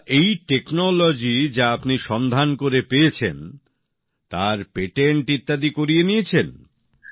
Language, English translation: Bengali, Now this technology which you have developed, have you got its patent registered